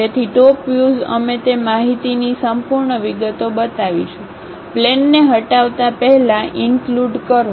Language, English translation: Gujarati, So, in top view, we will show complete details of that information, including the plane before removal